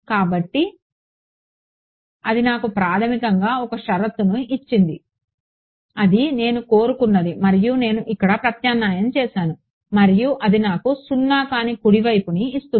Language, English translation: Telugu, So, that gave me a condition for u prime, basically that is what I wanted and that u prime is what I substituted over here and that gives me a non zero right hand side right